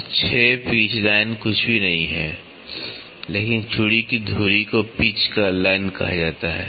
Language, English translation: Hindi, So, is 6 pitch line is nothing, but the axis of the thread is called as the pitch line